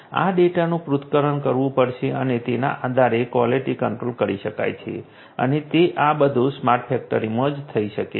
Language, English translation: Gujarati, This data will have to be analyzed and based on the analysis, quality control can be done and that is all of these things can be done only in a smart factory